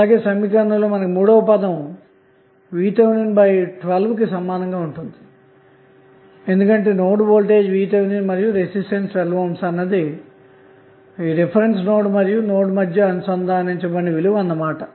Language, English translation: Telugu, So finally this would be equal to VTh by 12 because the voltage at this is VTh and the resistance connected between the reference node and node in the question is 12 ohm